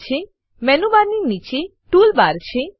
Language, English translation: Gujarati, Below the Menu bar there is a Tool bar